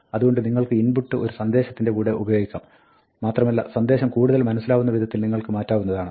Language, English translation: Malayalam, So, you can use input with a message and make the message as readable as you can